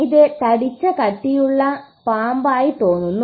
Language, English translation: Malayalam, This looks like a fat thick snake